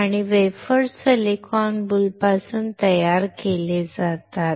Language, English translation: Marathi, And wafers are fabricated from the silicon boule